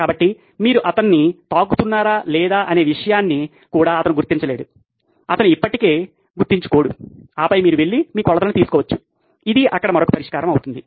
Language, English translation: Telugu, So, he can’t even detect whether you are touching him or not, he would never remember and then you can go and take your measurements that would be another solution there